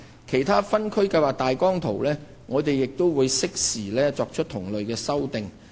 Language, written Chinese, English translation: Cantonese, 其他分區計劃大綱圖，我們亦會適時作出同類修訂。, Similar amendments would be made to other OZPs in future when suitable opportunities arise